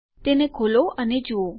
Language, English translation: Gujarati, So, lets open it and see